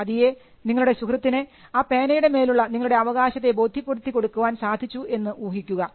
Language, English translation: Malayalam, Now, eventually let us assume that, you convinced your friend on the ownership of your pen